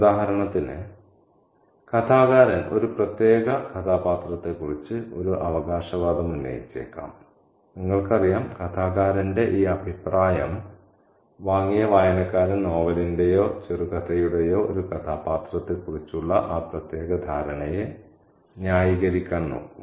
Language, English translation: Malayalam, For example, the narrator may make a claim about a particular character and you know, and the reader who has bought this opinion of the narrator will be looking for justification of that particular understanding about a character within the novel or short story